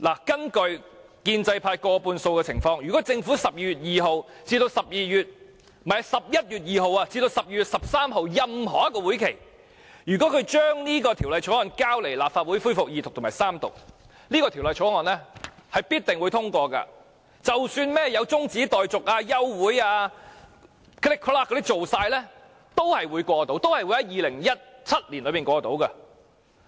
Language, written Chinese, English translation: Cantonese, 基於建制派佔過半數的情況，如果政府在11月2日至12月13日任何一個會議上將這法案交來立法會恢復二讀及三讀，這條例草案必定獲得通過。即使有中止待續、休會等情況出現，最後都會在2017年內獲得通過。, Given that the pro - establishment camp is in the majority had the Government tabled the Bill before the Legislative Council at any meeting between 2 November and 13 December for resumption of the Second Reading debate and the Third Reading the Bill would definitely have been passed and despite such situations as adjournment of debate or the Council it would have been passed in 2017 in the end